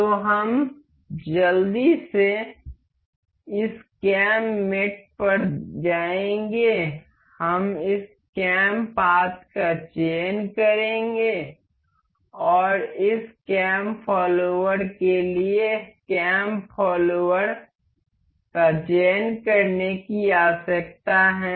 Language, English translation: Hindi, So, we will quickly go to this cam mate, we will select this cam path and cam follower for this cam follower we need to select the vertex of this